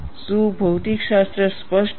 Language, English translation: Gujarati, Is a physics clear